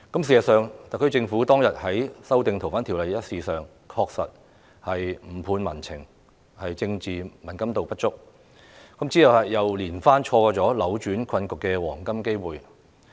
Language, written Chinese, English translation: Cantonese, 事實上，特區政府當日處理《2019年逃犯及刑事事宜相互法律協助法例條例草案》，確實有誤判民情，政治敏感度不足，之後又連番錯過扭轉困局的黃金機會。, As a matter of fact the SAR Government did misjudge public sentiment in handling the Fugitive Offenders and Mutual Legal Assistance in Criminal Matters Legislation Amendment Bill 2019 the Bill . It lacked political sensitivity and subsequently missed a few golden opportunities of turning the situation around